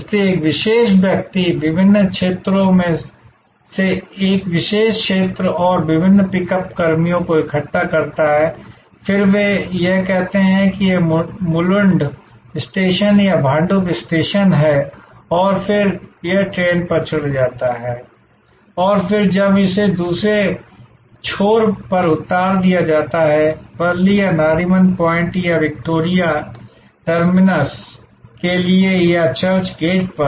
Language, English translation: Hindi, So, a particular person collects from a particular zone and various pickup personnel from the various zones, then they congregate at say this Mulund station or Bhandup station and then, it gets onto the train and then, when it is unloaded at the other end for Worli or for Nariman point or Victoria terminus or at church gate